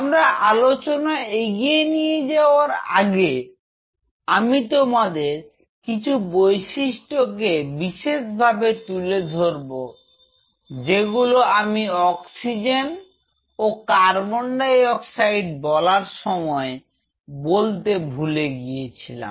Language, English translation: Bengali, So, before I move on to the cell cycle part I wish to highlight one point which I missed out while I was talking to you about oxygen and carbon dioxide